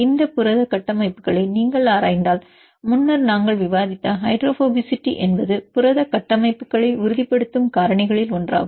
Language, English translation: Tamil, If you look into these protein structures that earlier we discussed the hydrophobicity is one of the factors which stabilized protein structures